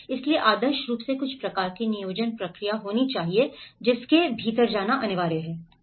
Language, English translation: Hindi, So, there should be an ideally some kind of planning process which has to go within it